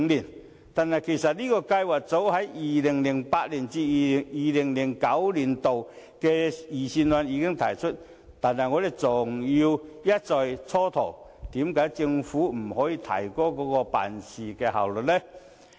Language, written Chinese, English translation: Cantonese, 此計劃其實早於 2008-2009 年度的財政預算案中已提出，但政府卻一再蹉跎，為何不能提高辦事效率？, This plan was proposed as early as in the 2008 - 2009 Budget but the Government has all along delayed its implementation . Why cant it improve its efficiency?